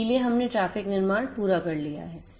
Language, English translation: Hindi, So, we have completed the traffic generation